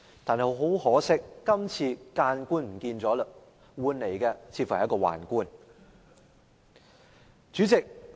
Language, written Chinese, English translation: Cantonese, 但是，很可惜，今次諫官就沒有了，有的似乎是一名宦官。, But unfortunately the Chairman of the Bills Committee in question was more like a eunuch than a remonstrance official